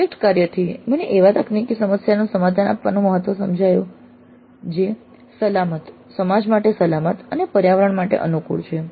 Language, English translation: Gujarati, Project work made me understand the importance of providing technical solutions that are safe, safe for the society and environment friendly